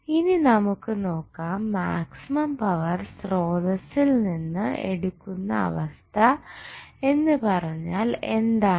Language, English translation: Malayalam, Now, let us see what is the meaning of drawing maximum power from the source